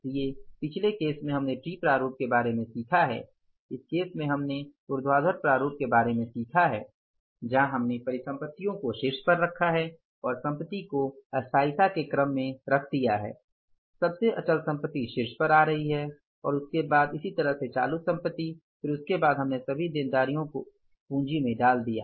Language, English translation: Hindi, So in the previous case case we learned about the T format, in this case we learned about the vertical format where we have put the assets on the top and putting the assets in the order of permanence, most fixed asset coming at the top and then followed by the current assets